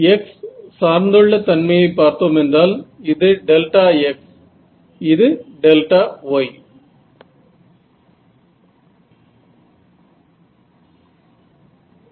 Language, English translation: Tamil, So, what about the x dependence of this, delta is going be a delta x then delta y